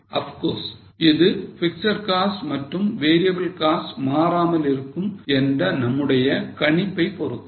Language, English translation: Tamil, Of course subject to our assumptions that fixed costs and variable costs don't change